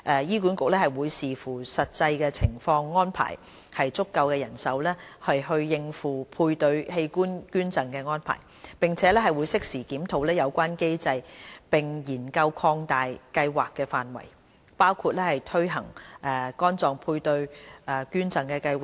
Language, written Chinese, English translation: Cantonese, 醫管局會視乎實際情況安排足夠的人手應付配對器官捐贈安排，並會適時檢討有關機制並研究擴大計劃範圍，包括推行肝臟配對捐贈計劃。, HA will arrange sufficient manpower to tackle paired organ donation in consideration of the actual situation . It will also review the relevant mechanism when appropriate and explore the expansion of the Programme to include a paired liver donation scheme